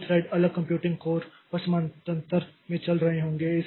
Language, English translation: Hindi, The two threads would be running in parallel and separate computing codes